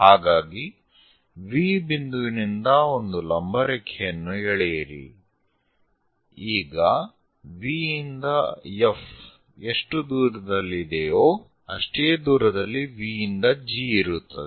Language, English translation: Kannada, So, from V point draw a perpendicular line in such a way that V to F whatever the distance, V to G also same distance, we will be having